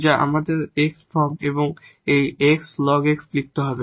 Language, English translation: Bengali, So, this is given here and then ln x